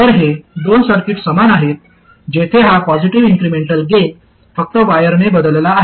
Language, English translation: Marathi, So these two circuits are the same where this positive incremental gain is simply replaced by the wire